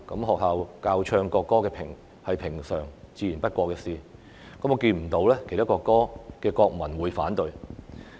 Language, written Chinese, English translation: Cantonese, 學校教唱國歌自然是平常不過的事，我看不見其他國家的國民會反對。, It is nothing but normal to teach the national anthem in schools . I have not seen any citizens of other countries oppose this